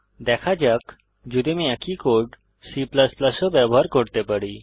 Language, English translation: Bengali, Let see if i can use the same code in C++, too